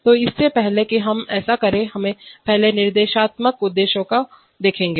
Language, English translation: Hindi, So before we do that let us first see the instructional objectives